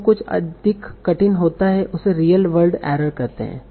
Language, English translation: Hindi, Now correcting this is called a real word error correction